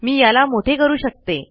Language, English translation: Marathi, I can make it bigger